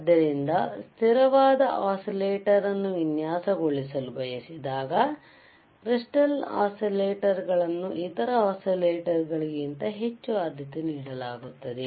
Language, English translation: Kannada, So, when you have, when you want to have a stable when you want to design a stable oscillator, the crystal oscillators are preferred are preferred over other kind of oscillators